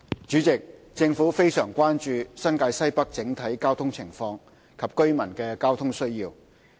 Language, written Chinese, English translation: Cantonese, 主席，政府非常關注新界西北整體交通情況及居民的交通需要。, President the Government is highly concerned about the overall traffic condition and residents transport needs in the Northwest New Territories NWNT